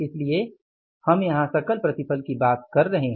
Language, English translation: Hindi, So, that is why we are talking about here is gross output